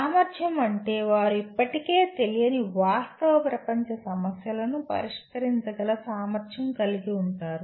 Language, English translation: Telugu, Capable means they are capable of solving real world problems that they are not already familiar with